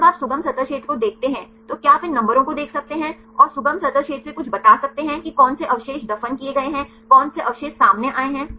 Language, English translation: Hindi, When you look into the accessible surface area can you see these numbers and tell something from the accessible surface area, that which residues are buried which residues are exposed